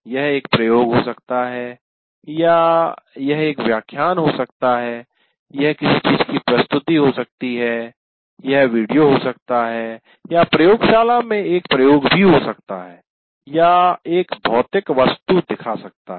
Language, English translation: Hindi, It could be an experiment or it could be a lecture, it could be presentation of something else, a video or even conducting an experiment in the lab or showing a physical object, but he is demonstrating